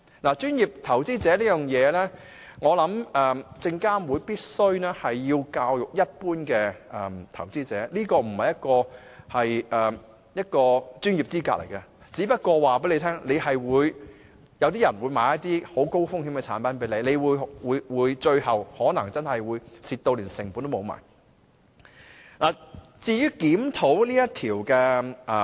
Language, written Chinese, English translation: Cantonese, 就"專業投資者"資格方面，我認為證監會必須教育一般投資者，這不是一個專業資格，它只不過告訴你，有些人可能會向你銷售一些很高風險的產品，你最終可能賠本，甚至連本金也取不回。, I think SFC must make publicity efforts to tell investors in general that the status as a professional investor is itself not a professional qualification as such and that it just serves to let the person concerned know that some people may sell some high - risk products to him . In the end the person may have his fingers burnt or lose his principal even